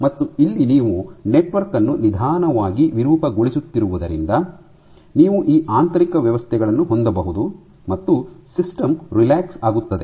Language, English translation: Kannada, So, so you are deforming the network very slowly you can have these internal arrangements and the system relaxes